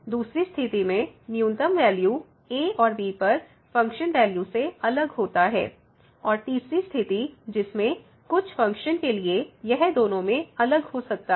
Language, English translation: Hindi, The second case when we take the minimum value is different than the function value at and and the third situation that for some functions both maybe different